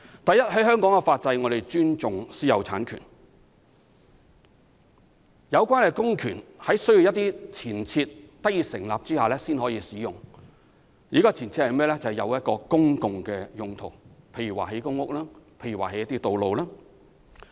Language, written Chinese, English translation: Cantonese, 第一，香港的法制尊重私有產權，要收回土地一定要符合一些確立的前設條件，例如收地作公共用途，包括興建公屋和道路。, The answer to the first question is that the legal system of Hong Kong respects private property rights . Before land resumption a number of established prerequisites must be fulfilled . For example land can be resumed if it is for public uses such as constructing public rental housing and roads